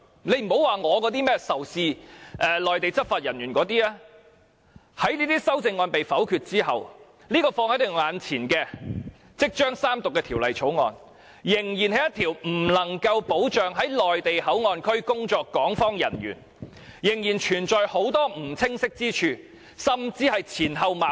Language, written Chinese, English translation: Cantonese, 別說我仇視內地執法人員那些修正案，即使這些修正案被否決後，放在我們眼前、即將三讀的《條例草案》，仍不能保障在內地口岸區工作的港方人員、仍然存在很多不清晰之處、甚至是前後矛盾。, Needless to mention my amendments which are considered hostile to Mainland law enforcement agents even these amendments are negatived later on the Bill placed in front of us which will be read the Third time cannot protect Hong Kong people who will be working in the Mainland Port Area . There are still unclear parts or even contradictions